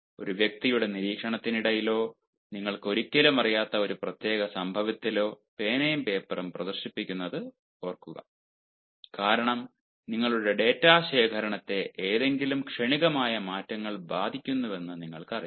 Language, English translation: Malayalam, but remember the display of pen and paper during observation, either of a person or of a particular incident, where you never know, because you know any ah momentary changes may affect your data collection